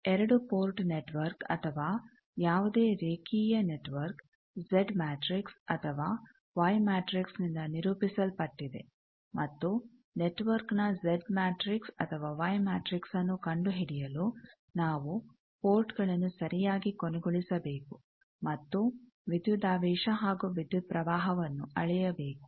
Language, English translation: Kannada, Now, for measuring that at 2 port network or any import network, linear network it characterize by Z matrix or Y matrix and for finding Z matrix or Y matrix of an network, we need to terminate properly the ports and measure either voltage and currents